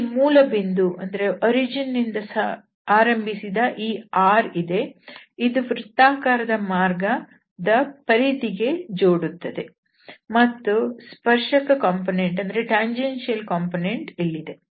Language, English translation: Kannada, So, there is this r vector which from the origin, it connects to this perimeter of the circular path, and then we have the tangential component there